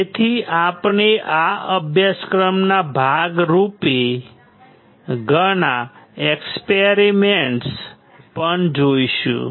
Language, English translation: Gujarati, So, we will also see lot of experiments as a part of this course